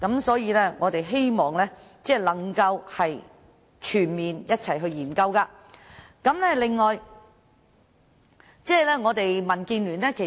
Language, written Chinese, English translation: Cantonese, 所以，我們希望能夠全面把各項安排一併研究。, That is why we hope all these different arrangements can be reviewed comprehensively